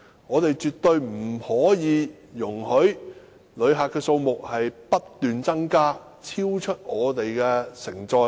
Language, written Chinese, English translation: Cantonese, 我們絕對不可以容許旅客數目不斷增加，超出香港的承載力。, We definitely cannot allow the number of visitors to increase continuously till it exceeds the receiving capability of Hong Kong